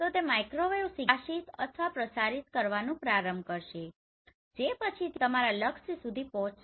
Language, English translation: Gujarati, So it will start illuminating or transmitting the microwave signal which will subsequently reach to your target